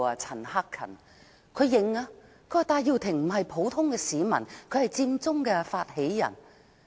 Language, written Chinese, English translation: Cantonese, 陳克勤議員承認，戴耀廷並非普通市民，而是佔中發起人。, Mr CHAN Hak - kan acknowledged that Benny TAI is not an ordinary citizen but an initiator of the Occupy Central movement